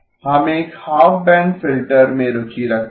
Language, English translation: Hindi, We are interested in a half band filter